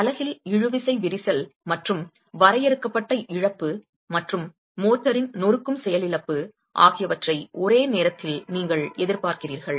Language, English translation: Tamil, In reality you expect a simultaneous occurrence of the tensile cracking in the unit and loss of confinement and the crushing failure of the motor